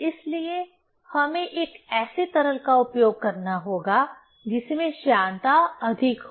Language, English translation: Hindi, So, we have to use a liquid which has higher viscosity ok